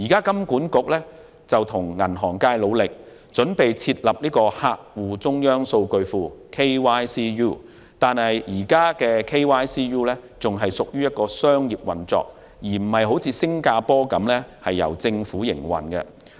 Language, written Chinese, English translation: Cantonese, 金管局目前正與銀行業界努力，準備設立客戶中央數據庫)，但該 KYCU 現時仍屬商業運作，而非像新加坡般由政府營運。, HKMA is currently working with the banking industry to prepare a Know - your - customer Utility KYCU which is a central database . At present this is still a commercial operation unlike in Singapore where it is a government - run facility